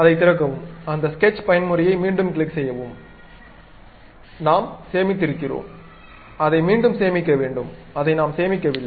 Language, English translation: Tamil, Open that because we have saved it the time when we click that sketch mode coming out of that again we have to save it we did not save it